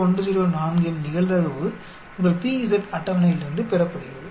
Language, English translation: Tamil, 0104 is obtained from your p z table